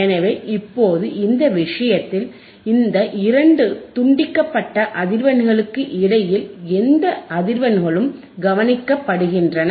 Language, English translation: Tamil, So, now, in this case, any frequencies in between these values right any frequencies in between these two cut off frequencies are attenuated